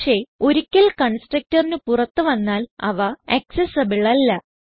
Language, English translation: Malayalam, But once they come out of the constructor, it is not accessible